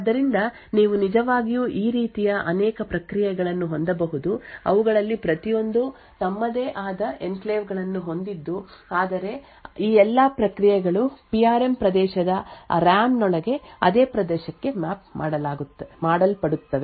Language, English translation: Kannada, So, therefore you could actually have multiple processes like this each of them having their own enclaves but all of this processes would mapped to the same region within the Ram that is the PRM region